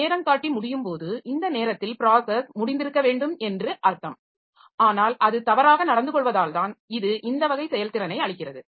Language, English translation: Tamil, When the timer expires, so it means that the process should have been over by this time but it is must be it must be misbehaving that is why it is giving this type of performance